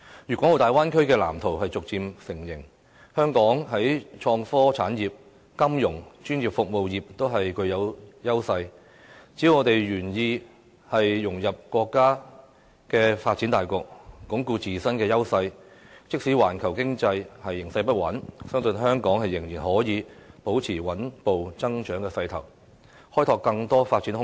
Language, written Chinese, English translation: Cantonese, 粵港澳大灣區的藍圖已逐漸成形，香港在創科產業、金融業、專業服務業等均具有優勢，只要我們願意融入國家發展大局，鞏固自身的優勢，即使環球經濟形勢不穩，相信香港仍然可以保持穩步增長的勢頭，開拓更多發展空間。, The blueprint of the Guangdong - Hong Kong - Macao Bay Area is gradually taking shape . With its edges in industries such as innovation and technology financial and professional services if Hong Kong is willing to integrate into our countrys comprehensive development and strengthen its own advantages it will still maintain a steady growth even in the midst of a volatile global economic environment and find more room for development